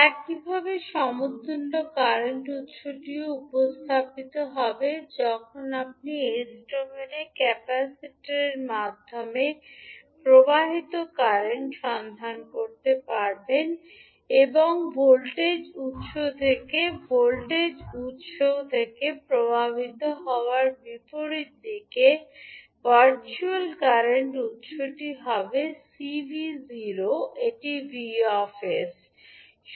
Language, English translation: Bengali, Similarly, the equivalent current source will also be represented when you are finding out the current flowing through the capacitor in s domain and C v naught that is the virtual current source will have the direction of current opposite to the flowing from the voltage source that is V s